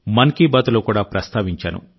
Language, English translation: Telugu, I have touched upon this in 'Mann Ki Baat' too